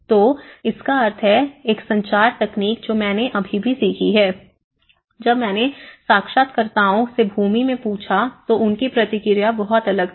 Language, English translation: Hindi, So, which means is a communication techniques which I have learnt also, when I asked interviewers in the land the response is very different